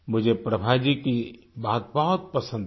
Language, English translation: Hindi, " I appreciate Prabha ji's message